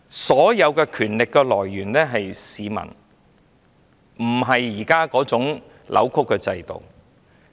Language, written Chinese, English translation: Cantonese, 所有權力的來源是市民，不是現時扭曲的制度。, All power should come from the people and should not come from the present distorted system